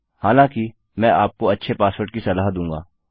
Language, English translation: Hindi, I would recommend you a better password, though